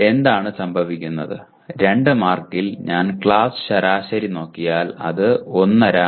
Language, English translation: Malayalam, So what happens, out of the 2 marks if I look at the class average, it is 1